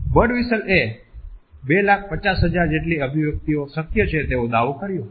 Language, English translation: Gujarati, Birdwhistell has claimed that up to 2,50,000 expressions are possible